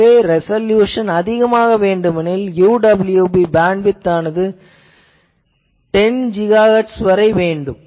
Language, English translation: Tamil, So, get very fine resolution we want UWB type of bandwidth at and 10 GHz etc